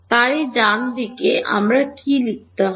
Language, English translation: Bengali, So, what should I write on the right hand side